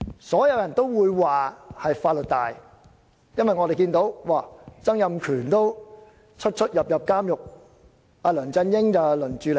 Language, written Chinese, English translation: Cantonese, 所有人也會說是法律大，因為連前特首曾蔭權也多次出入監獄，或許即將輪到梁振英。, Everyone will say that the law is superior . The reason is that even former Chief Executive Donald TSANG has been in and out of the prison for a couple of times; perhaps it will soon be LEUNG Chun - yings turn